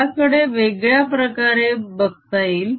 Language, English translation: Marathi, there is another way of looking at